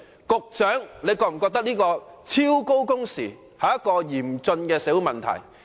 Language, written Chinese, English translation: Cantonese, 局長你是否認為此一超高工時，是一個嚴峻的社會問題？, Does the Secretary consider it an acute social problem for people here to work exceedingly long hours?